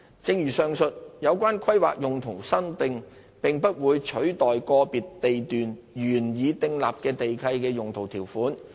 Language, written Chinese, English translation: Cantonese, 正如上述，有關規劃用途修訂並不會取代個別地段原已訂立的地契的用途條款。, As mentioned above such amendments relating to land use planning would not replace the land use clauses already stipulated in the leases for the respective land lots